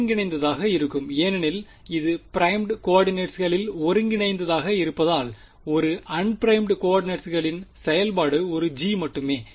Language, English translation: Tamil, The integral will remain because this is integral over primed coordinates the function which is of un primed coordinates is only one g